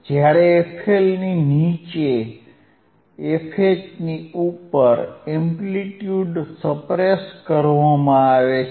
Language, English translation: Gujarati, While below the fL and above fH, the amplitude is suppressed